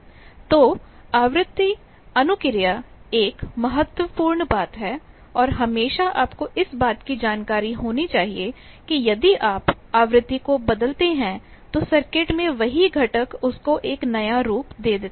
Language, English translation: Hindi, So, frequency response is an important thing and always you should be aware that if you change the frequency a new whole new circuit from the same components you can get